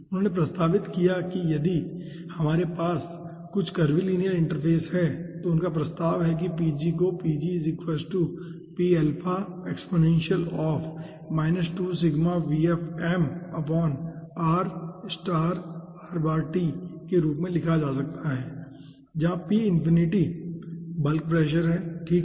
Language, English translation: Hindi, he proposed that if we are having some curvilinear interface, he propose that pg can be written as p infinity, where p infinity is the pressure of the, you know ah bulk